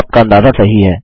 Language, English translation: Hindi, Your guess is right